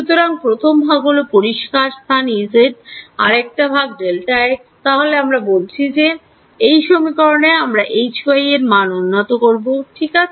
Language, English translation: Bengali, So, first part is clear space the E z the part by delta x, then we are saying that in this equation when I want to update H y ok